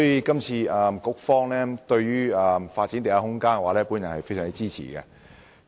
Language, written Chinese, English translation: Cantonese, 故此，對於局方發展地下空間，我非常支持。, Hence I very much support the Bureaus initiative to develop underground space